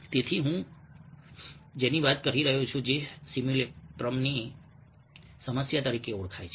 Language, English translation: Gujarati, so that's what i was talking about, ah, which is known as the problem of simulacrum